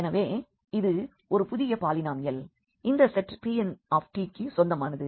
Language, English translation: Tamil, So, here this is a new polynomial which belongs to again this set this P n t